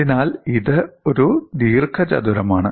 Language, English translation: Malayalam, So, it is a rectangle